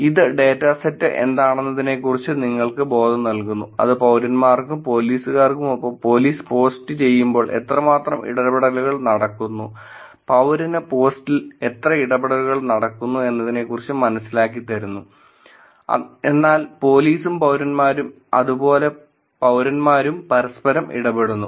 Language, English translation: Malayalam, This just gives you sense of what the data set is, which is how much of interactions are happening, when police post with citizens and police, and how much of interactions are happening in citizen post, but police and citizens and citizens are interacting